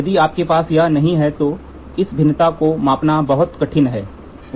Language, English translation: Hindi, If you do not have this then it is very hard for measuring this variation